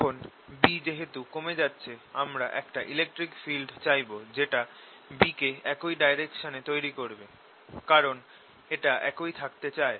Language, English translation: Bengali, i would like to have an electric field that produces b in the same direction because it wants to keep the same